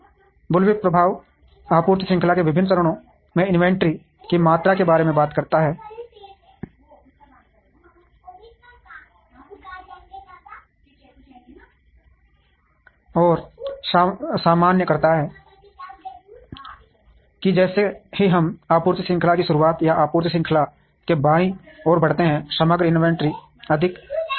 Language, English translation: Hindi, The bullwhip effect talks about the amount of inventory in the various stages of the supply chain, and generalizes that as we move to beginning of the supply chain or leftmost side of the supply chain, the overall inventory will be higher